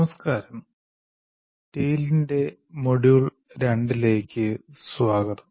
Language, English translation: Malayalam, Greetings and welcome to module 2 of tale